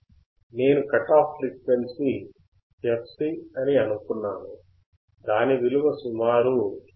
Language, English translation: Telugu, I have assumed that my cut off frequency fc is about 159